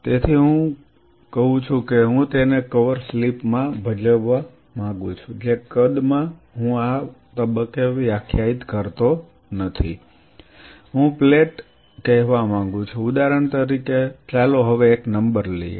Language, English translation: Gujarati, So, I say I want to play it in a cover slip whatever size I am not defining that at this stage, I say I want to plate say for example, let us take a number now